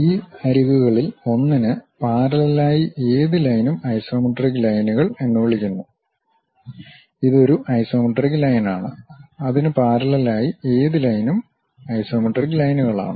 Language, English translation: Malayalam, Any line parallel to one of these edges is called isometric lines; this is one isometric line, any line parallel to that also isometric lines